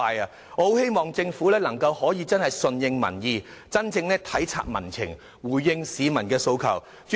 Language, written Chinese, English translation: Cantonese, 我很希望政府能夠順應民意，真正體察民情和回應市民訴求。, I very much hope that the Government can pay heed to public opinions appreciate public sentiments and respond to the aspirations of the public